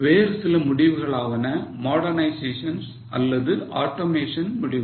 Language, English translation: Tamil, Some more decisions are modernization or automation decision